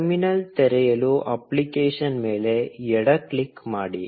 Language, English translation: Kannada, Left click on the app to open the terminal